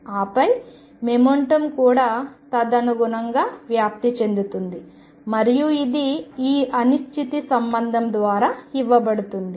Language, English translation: Telugu, And then the momentum also gets a spread correspondingly and which is given by this uncertainty relationship